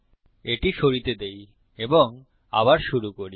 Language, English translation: Bengali, Lets get rid of this and start again